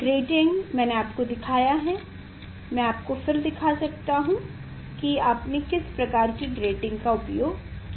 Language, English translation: Hindi, grating I have showed you; I can show you which type of grating you have used here